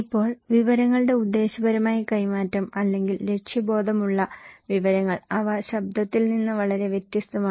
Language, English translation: Malayalam, Now, purposeful exchange of informations or purposeful informations, they are very different from the noise